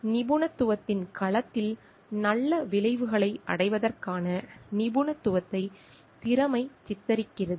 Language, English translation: Tamil, Competence depicts the expertise to achieve good outcomes in domain of expertise